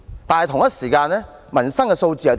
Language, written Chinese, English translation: Cantonese, 但是，同一時間的民生數字如何？, What about the statistics concerning the peoples livelihood during the same period?